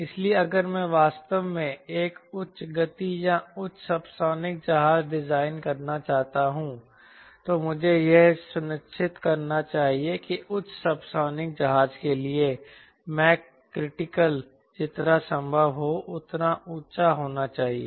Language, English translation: Hindi, so if i want to really design a high speed or high subsonic airplane, i should ensure that m critical should be as high as possible for high subsonic airplane